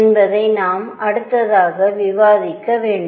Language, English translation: Tamil, So, this is I am going to need to discuss next